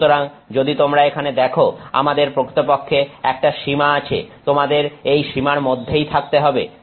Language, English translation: Bengali, Therefore, if you see here, we actually have a range, you have to stay within this range